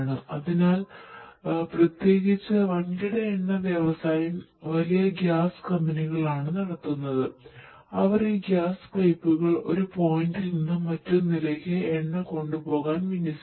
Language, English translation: Malayalam, So, particularly the big oil industry is the back big gas companies, they deploy these gas pipes for carrying the gas for carrying oil from one point to another